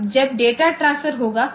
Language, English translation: Hindi, Now, when the data transfer will take place